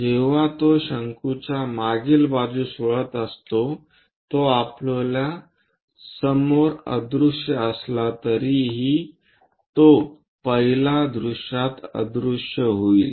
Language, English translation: Marathi, While it is winding the backside of the cone, it will be invisible at first front though it is there it is invisible for us